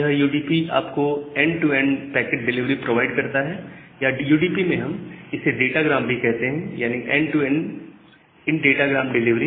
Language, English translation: Hindi, So, this UDP just provide you the end to end packet delivery or in UDP we term it as the datagram; so end to end in datagram delivery